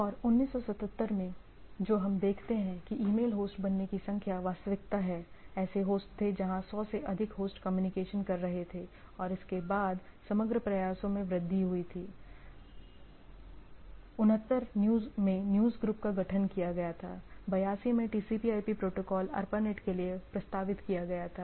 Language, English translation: Hindi, And 77, what we see that number of email hosts become email is really reality, there were host where 100 plus host were communicating and there was a steep increase after that on overall efforts, 79 news groups were formed, 82 TCP/IP protocol was proposed for ARPANET